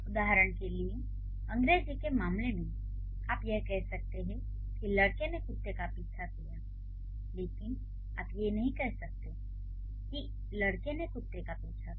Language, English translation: Hindi, For example, in case of English you can say a dog, let's say the boy chased the dog, but you can't say the boy the dog chased